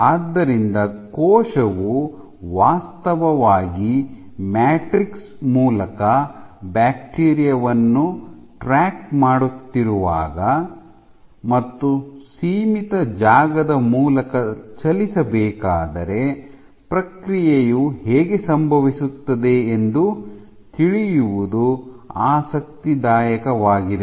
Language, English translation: Kannada, So, how the process will happen when the cell is actually tracking the bacteria through this matrix where the cell has to actually squeeze through this confinement